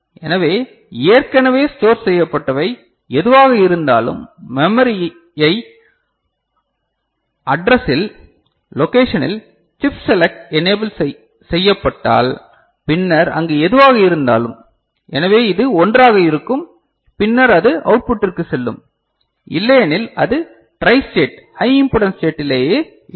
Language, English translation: Tamil, So, whatever is already stored, the memory address is you know, is invoked, the location is invoked, chip select is enabled then whatever is there so, this will be 1 and then it will go to the output, otherwise it will be remaining tristated high impedance state